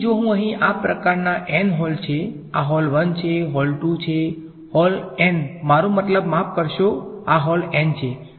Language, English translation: Gujarati, So, if I have say n such holes over here this hole 1, hole 2, hole 2 I mean sorry this is hole n